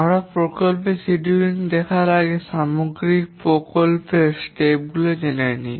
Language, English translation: Bengali, Before we look at project scheduling, let's examine the overall project steps